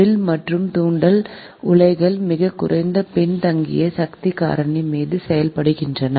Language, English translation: Tamil, arc and induction furnaces operate on very low lagging power factor